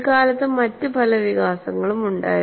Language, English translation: Malayalam, Then they were many other developments